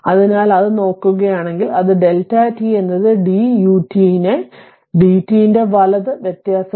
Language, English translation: Malayalam, So, if you look into that; that your delta t is your differentiation of d u t by d t right